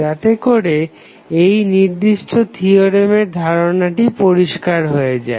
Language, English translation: Bengali, So, that you are more clear about the particular theorem